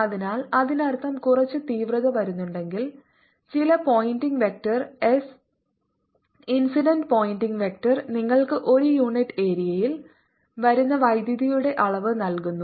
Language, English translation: Malayalam, so that means, if there is some intensity coming in some pointing vector, s incident pointing vector gives you the amount of power coming per unit area